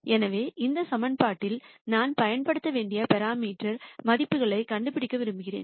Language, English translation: Tamil, So, I want to nd the parameters parameter values that I should use in that equation